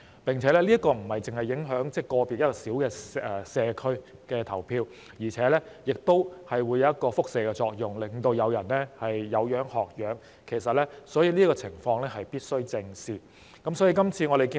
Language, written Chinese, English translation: Cantonese, 而且，這樣不單會影響個別社區的投票，亦會產生輻射作用，令其他人有樣學樣，所以這個情況必須正視。, Moreover not only will it affect the voting in individual communities but it will also create a radiation effect to cause others to follow suit . Therefore this situation must be squarely addressed